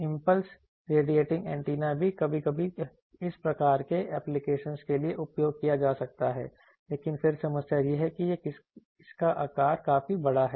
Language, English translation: Hindi, Impulse radiating antenna also sometimes for this low type applications may be used, but again the problem is that it size is quite big